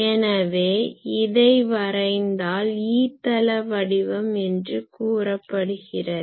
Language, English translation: Tamil, So, if we plot that that is called E plane pattern